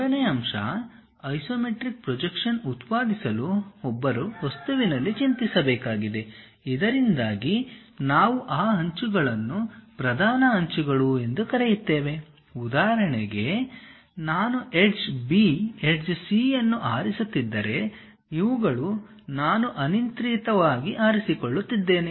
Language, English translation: Kannada, The third point, to produce isometric projection; one has to worry in the object, so that its principal edges, whatever the edges we call principal edges, for example, if I am choosing A edge, B edge, C edge, these are arbitrarily I am choosing